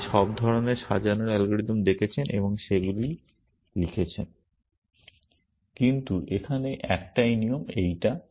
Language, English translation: Bengali, You have looked at all kinds of sorting algorithms and you wrote them